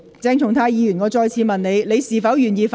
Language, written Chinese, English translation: Cantonese, 鄭松泰議員，我再次問你，你是否願意發言？, Dr CHENG Chung - tai I ask you once again . Are you willing to speak?